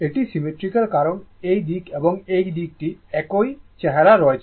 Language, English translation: Bengali, It is symmetrical because this side and this side is same look